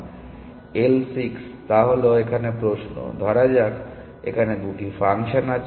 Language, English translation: Bengali, L 6 is the question; so, let there be 2 functions